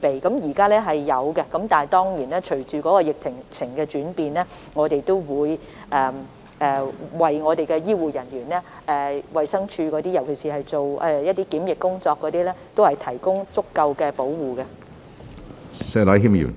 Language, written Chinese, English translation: Cantonese, 現時庫存量充足，但隨着疫情的轉變，供應會緊張，不過我們會為醫護人員，尤其是衞生署負責檢疫工作的人員，提供足夠的裝備。, At this moment it has adequate stock but the supply of PPE will get tight as the epidemic develops . Yet sufficient PPE will be issued to health care workers especially quarantine officers of DH